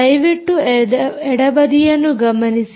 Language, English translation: Kannada, please note, at the left corner